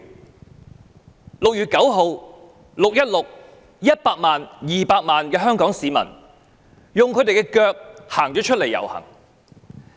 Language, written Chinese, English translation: Cantonese, 在6月9日和6月16日 ，100 萬、200萬名香港市民用雙腳出來遊行。, On 9 June and 16 June 1 million and 2 million Hong Kong people took to the streets with their feet respectively